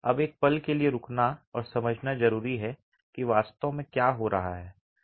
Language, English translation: Hindi, Now it's important to pause for a moment and understand what's really happening